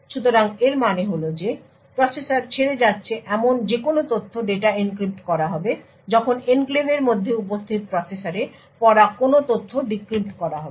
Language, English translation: Bengali, So what this means is that any data leaving the processor would be encrypted while any data read into the processor which is present in the enclave would be decrypted